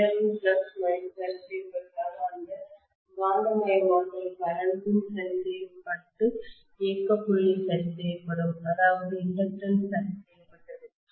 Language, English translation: Tamil, If nominal flux value is fixed clearly, I will have that magnetising current also fixed and the operating point is fixed which means that inductance is fixed